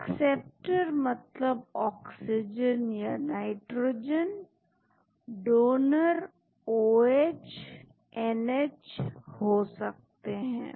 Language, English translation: Hindi, acceptors means oxygen or nitrogen, donors could be OH, NH